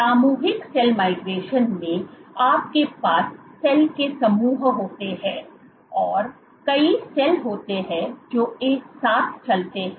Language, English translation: Hindi, In collective cell migration you have groups of cells, you have multiple cells which moves together